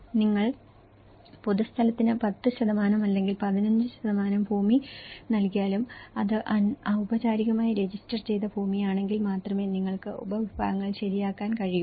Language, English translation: Malayalam, Whether you are giving a 10% or 15% of land for the public place and then only it could be formally registered land, then only, you can make the subdivisions right